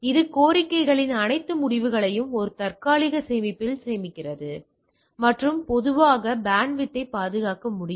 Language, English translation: Tamil, It saves all the results of request in a cache can generally conserve bandwidth